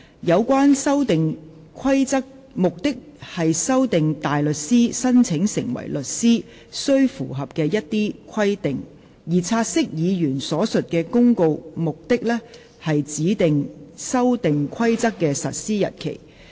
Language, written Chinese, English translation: Cantonese, 有關《修訂規則》旨在修訂大律師申請成為律師須符合的一些規定，而"察悉議案"所述的《公告》，目的是指定《修訂規則》的實施日期。, The relevant Amendment Rules seek to amend certain requirements that a barrister applying to be a solicitor must meet whereas the Notice referred to in the take - note motion seeks to appoint the date on which the Amendment Rules come into operation